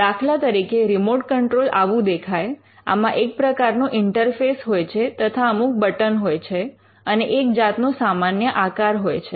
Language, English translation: Gujarati, For instance, this is how a remote control device looks like, there is an interface, there are some buttons and typically it is in a standard form